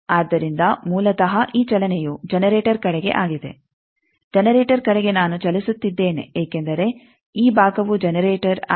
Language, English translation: Kannada, So, basically this movement is towards generator towards generator I am moving because this side is generator